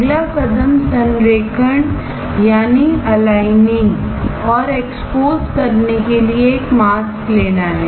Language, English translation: Hindi, The next step is to take a mask to do the alignment and the exposure